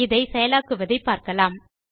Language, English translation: Tamil, So let us see how it is implemented